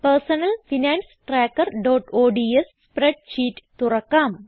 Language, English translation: Malayalam, Let us open our Personal Finance Tracker.ods spreadsheet